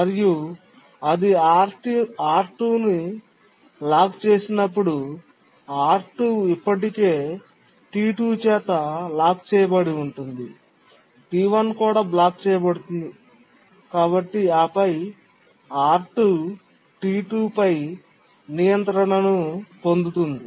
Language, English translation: Telugu, And when it locks R2, R2 has already been locked by T1 and therefore, sorry, R2 has already been locked by T2 and therefore T1 blocks